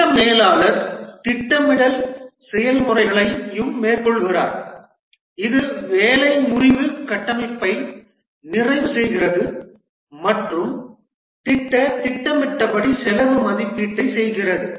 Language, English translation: Tamil, The project manager also carries out the planning processes that is completes the work breakdown structure and performs the project schedule, cost estimation and so on